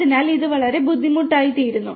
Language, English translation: Malayalam, So, it becomes very difficult